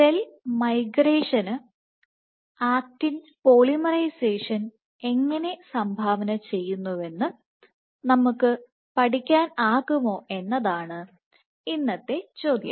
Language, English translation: Malayalam, Now, ahead, the question for today is can we study how actin polymerization contributes to cell migration